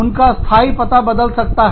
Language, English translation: Hindi, Their permanent address, may change